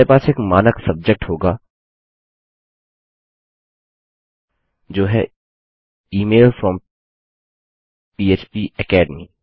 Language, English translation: Hindi, We will have a standard subject which says Email from PHPAcademy